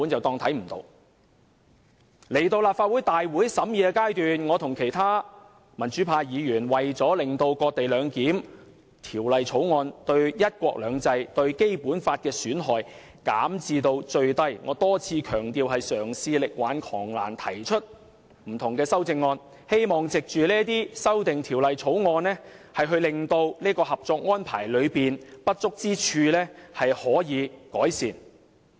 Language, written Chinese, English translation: Cantonese, 到了提交立法會會議的審議階段，我和其他民主派議員為了令"割地兩檢"的《條例草案》，對"一國兩制"和《基本法》的損害減至最低——我多次強調那是嘗試力挽狂瀾——提出不同的修正案，希望可藉着這些修正案，改善《合作安排》中的不足之處。, When it came to the committee stage I myself and other pro - democracy Members wanted to minimize the harm done by this cession - based co - location arrangement to one country two systems and the Basic Law so we put forward various amendments in the hope of rectifying the inadequacies of the Co - operation Arrangement or salvaging the situation as I have repeatedly stressed